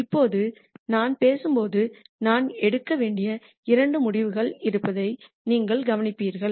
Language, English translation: Tamil, Now, as I speak you would have noticed that there are two decisions that I need to make